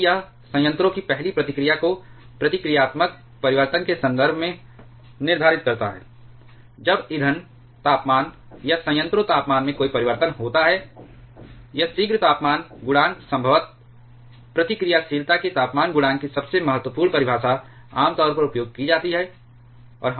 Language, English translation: Hindi, Because it determines the first response of the reactor in terms of a reactivity change, when there is a change in either the fuel temperature or reactor temperature; this prompt temperature coefficient is probably the most important definition of temperature coefficient of reactivity is commonly used